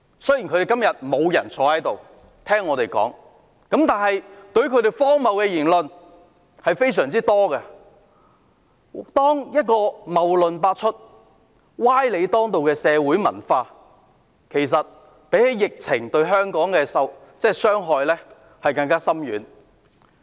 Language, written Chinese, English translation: Cantonese, 雖然今天他們沒有人在席聽我們發言，但他們的荒謬言論非常多，謬論百出、歪理當道的文化比疫情對香港的傷害更深遠。, How self - contradictory their arguments are! . Today none of them are present to listen to my speech but they have made so many absurd remarks and a culture in which fallacious arguments and false reasoning prevail does much more profound harm to Hong Kong than the outbreak of a disease